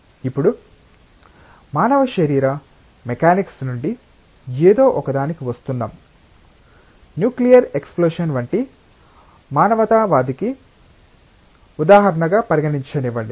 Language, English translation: Telugu, Now, coming from human body mechanics to something let us consider as an example of not so humanistic like nuclear explosion